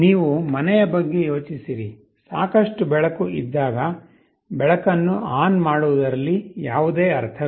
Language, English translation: Kannada, You think of a home, when there is sufficient light there is no point in switching ON the light